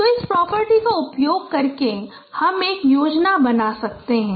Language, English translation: Hindi, So using this property you can design a scheme